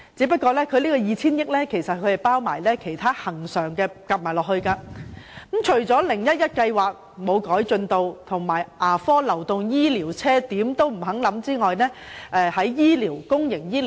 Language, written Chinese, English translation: Cantonese, 不過，這 2,000 億元還包括了其他恆常開支，而且 "0-1-1" 方案毫無寸進，牙科流動醫療車的建議亦不獲接納。, However the 200 billion set aside would be used to meet some other recurrent expenditures while no progress has been made in our discussions on the 0 - 1 - 1 envelope savings programme and the Government has not accepted our suggestion of providing mobile dental clinics